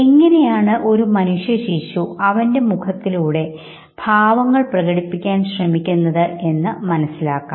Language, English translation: Malayalam, Let us now understand how an infant human infant learns to express through face